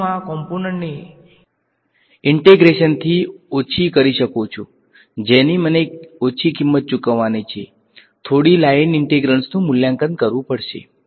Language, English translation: Gujarati, So, I can remove these elements from the integration small price I have to pay is a few more line integrals have to be evaluated ok